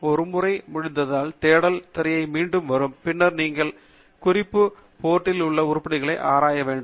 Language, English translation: Tamil, Once that is done, then the search screen will come back, and then, you are ready to then explore the items in the End Note portal